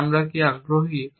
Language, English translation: Bengali, So, what are we interested in